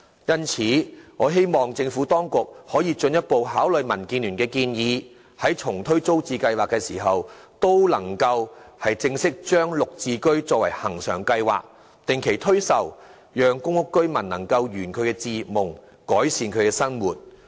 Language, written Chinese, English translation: Cantonese, 因此，我希望政府當局可以進一步考慮民建聯的建議，在重推租置計劃時，能正式把"綠置居"設定為恆常計劃，定期推售，讓公屋居民能圓其置業夢，改善生活。, Thus I hope the Government will while relaunching TPS on the one hand further consider DABs suggestion of officially making GSH a permanent scheme to launch sales of GSH flats on a regular basis so that PRH tenants dream of purchasing their own homes will come true and they can then improve their living then